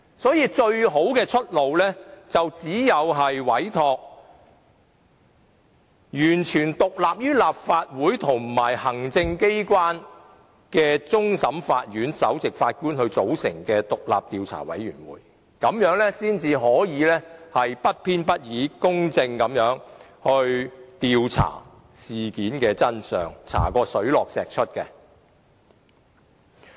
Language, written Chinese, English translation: Cantonese, 因此，最好的出路便是委托完全獨立於立法會和行政機關的終審法院首席法官組成獨立的調查委員會，這樣才可不偏不倚、公正地調查事件的真相，讓事件水落石出。, Thus it is most appropriate to give a mandate to the Chief Justice of CFA who is completely independent of the Legislative Council and the Executive Authorities to form an independent investigation committee . Only in so doing can we find out the truth in an impartial and just manner and the incident can come to light